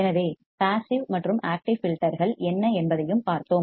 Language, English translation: Tamil, So, and we have also seen what are the passive and active filters